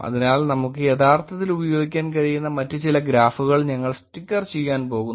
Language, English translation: Malayalam, So we are going to slicker some other graphs that we can actually pretty use